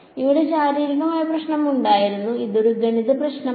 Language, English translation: Malayalam, The physical problem was here this is a math problem